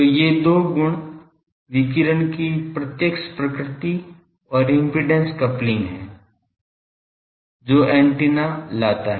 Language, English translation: Hindi, So, these two properties the directive nature of radiation and impedance coupling this is antenna brings